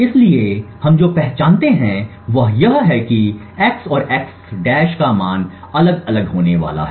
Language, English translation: Hindi, So, what we identify is that the value of x and x~ is going to be different